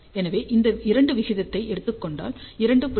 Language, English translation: Tamil, So, if we take the ratio of the two that comes out to be 2